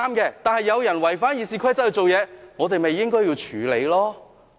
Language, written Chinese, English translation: Cantonese, 若有人違反《議事規則》行事，我們便應該處理了。, If someone violates the Rules of Procedure we should deal with it